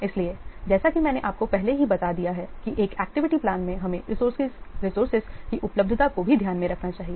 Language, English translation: Hindi, So as I have already told you, in the activity plan, we should also take into account the availability of the resources